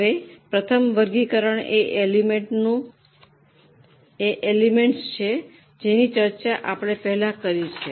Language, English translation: Gujarati, Now the first classification is by elements which we have already discussed